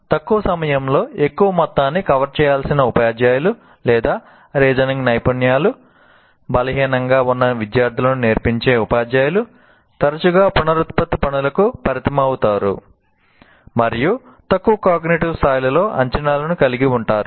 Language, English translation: Telugu, First of all, teachers who must cover a great deal of material in little time or who teach students whose reasoning skills are weak, often stick to reproduction tasks and even have assessments at lower cognitive levels